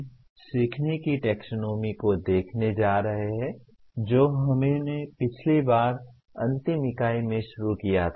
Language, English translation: Hindi, We are going to look at the taxonomy of learning which we started last time in the last unit